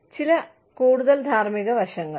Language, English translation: Malayalam, Ethical aspects of some more